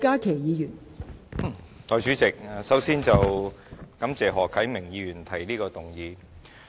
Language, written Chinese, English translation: Cantonese, 代理主席，首先，我感謝何啟明議員提出這項議案。, Deputy President first I thank Mr HO Kai - ming for proposing this motion